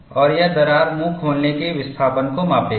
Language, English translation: Hindi, People measure the crack mouth opening displacement